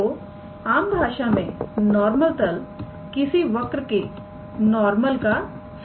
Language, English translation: Hindi, So, usually a normal plane is like a generalization of the normal to a curve